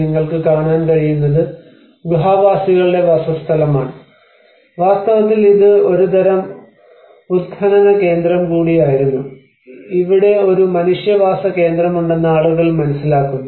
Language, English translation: Malayalam, And what you could see is the cave dweller settlement, and in fact this was also a kind of excavation site where people realize that there has been a human settlement here